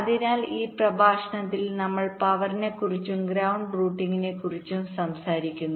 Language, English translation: Malayalam, ok, so in this lecture we talk about power and ground routing